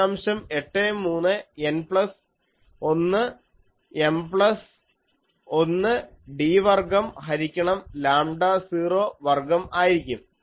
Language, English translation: Malayalam, 83 N plus 1 M plus 1 d square by lambda 0 square